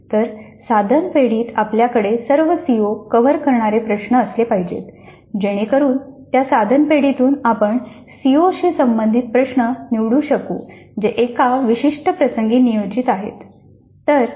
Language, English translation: Marathi, So in the item bank we must have items covering all the COs so that from that item bank we can pick up the items related to the COs which are being planned in a specific instance